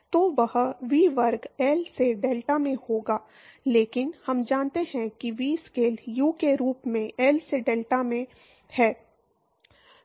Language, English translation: Hindi, So, that will be V square by L into delta, but we know that V scales as U into delta by L right